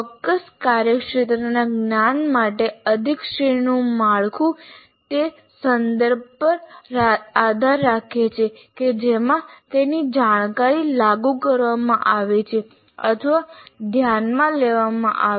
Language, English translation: Gujarati, And also the hierarchical structure for a particular domain knowledge also depends on the context in which that knowledge is being applied or considered